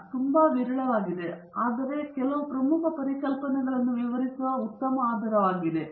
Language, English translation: Kannada, These are very scarce, but this is a very good basis for illustrating some key concepts